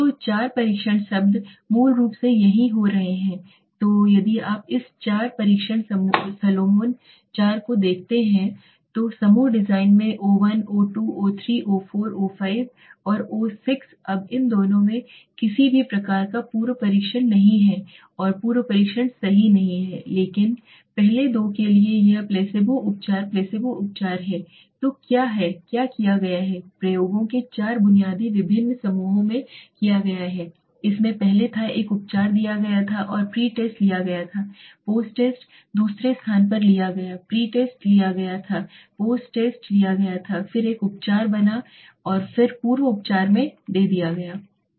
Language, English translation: Hindi, So there are four test words basically happening here right so if you see this four test Solomon 4 group design in which o1, o2, o3, o4, o5 and o6 now these two do not have any kind of a pre test there is no pre test right but for the first two this is treatment Placebo treatment Placebo so what has been done four basic different groups of experiments have been done in which first there was a treatment given and the pre test was taken and the post test was taken second there is a placebo pretest was taken posttest was taken then again a treatment was given without any pre treatment